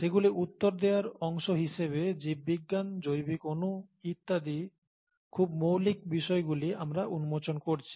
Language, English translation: Bengali, As a part of answering them, we are uncovering very fundamental aspects of biology, biological molecules and so on